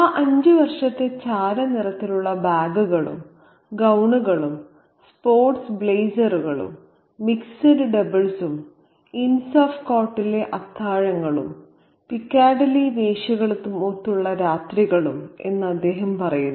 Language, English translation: Malayalam, And he says that those five years of grey bags and gowns of sport blazers and mix the doubles of dinners at the ends of court and nights with the piccadilly prostitutes